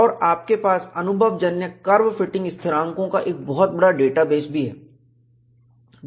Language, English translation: Hindi, And, it also has a large database of empirical curve fitting constants